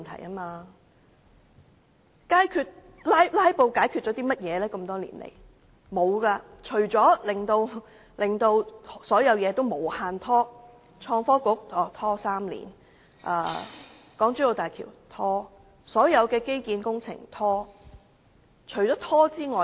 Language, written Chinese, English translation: Cantonese, 甚麼也沒有，只是令所有事情無限拖延，例如創新及科技局拖了3年才成立，而港珠澳大橋和所有基建工程都是一拖再拖。, Nothing at all . Filibuster has simply delayed everything indefinitely . For example the Innovation and Technology Bureau was established after a delay of three years and the Hong Kong - Zhuhai - Macao Bridge and all infrastructure projects have been repeatedly delayed